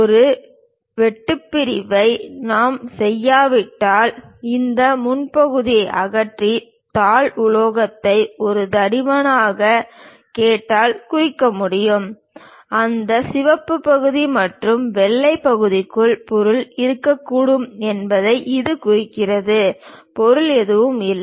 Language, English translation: Tamil, Unless we make a cut section remove this first part and show something like, where sheet metal can be represented by a thick line; that indicates that material might be present within that red portion and the white portion, there is no material